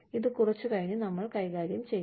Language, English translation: Malayalam, We will deal with this, you know, a little later